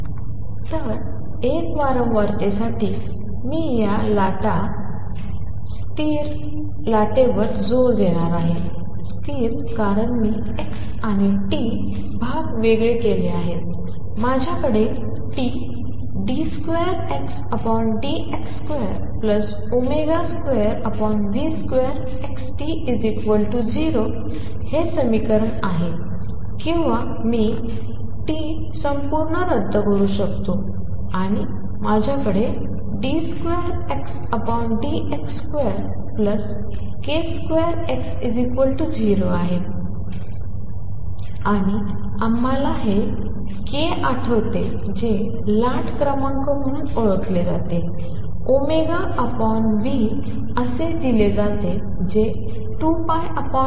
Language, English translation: Marathi, So, for a single frequency and I am going to emphasize this stationary wave; stationary because I have separated the x and t parts; I have the equation T d 2 X by d x square plus omega square over v square T X is equal to 0 or I can cancel T out throughout and I have d 2 X by d x square plus k square X is equal to 0 and we recall this k is which is known as a wave number is given as omega over v which is same thing as 2 pi over lambda